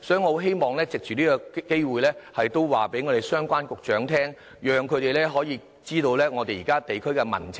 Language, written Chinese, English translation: Cantonese, 我希望藉此機會告訴相關局長，讓他們知道現時地區的民情。, I wish to take this opportunity to tell the Secretary concerned what the local people think